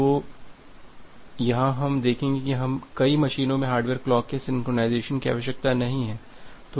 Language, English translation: Hindi, So, here we will see that we do not require the synchronization of the hardware clock across multiple machine